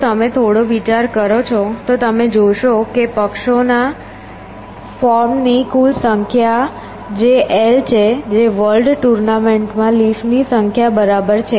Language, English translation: Gujarati, So, if you give some thought to that you will see that the total number of parties’ forms which is l which is a number of leaves i n a world tournament